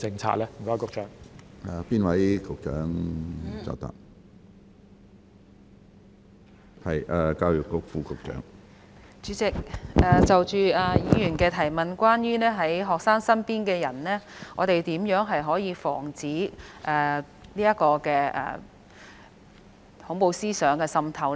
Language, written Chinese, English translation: Cantonese, 主席，就着議員的補充質詢，關於學生身邊的人，我們如何可以防止恐怖思想滲透呢？, President regarding the Members supplementary question which is about guarding against people around students how can we prevent the infiltration of terrorism by them?